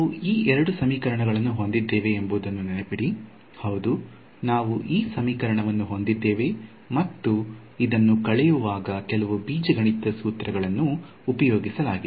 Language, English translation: Kannada, So, remember we had these two equations; yeah I had this equation and this equation, which at subtracted done some algebra and so on